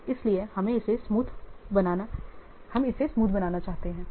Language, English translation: Hindi, So that's why we want to smoothen it